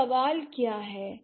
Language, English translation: Hindi, So, what are the questions